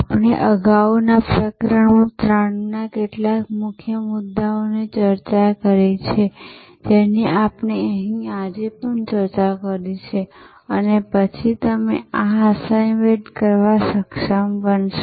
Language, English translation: Gujarati, Chapter 4 we have discussed earlier, chapter 3 some of the key points we have discussed today and then you should be able to do this assignment